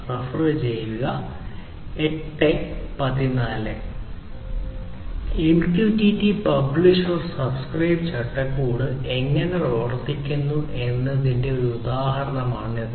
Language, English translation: Malayalam, So, this is an example of how the MQTT publish/subscribe framework works